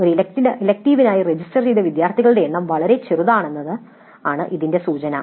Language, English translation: Malayalam, The implication is that the number of students who have registered for that elective is very small